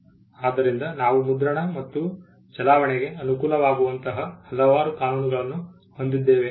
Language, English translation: Kannada, So, we had also various laws favouring printing and circulation